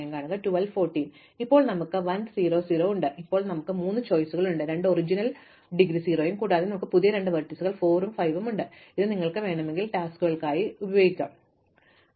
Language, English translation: Malayalam, So, now we have 1 0 0, now we have three choices, the original one which had indegree 0 and we have two new vertices 4 and 5 which correspond to tasks if you want to call them, whose prerequisites have been completed